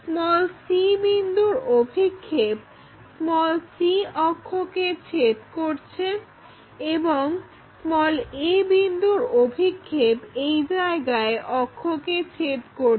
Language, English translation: Bengali, So, c point cuts c axis and a point cuts that axis there